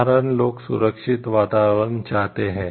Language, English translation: Hindi, The common people would want to live a safe environment